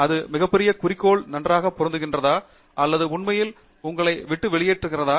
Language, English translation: Tamil, Is it really fitting into the big picture nicely or is it really taking you away